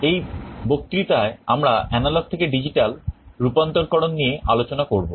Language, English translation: Bengali, In this lecture, we shall be starting our discussion on Analog to Digital Conversion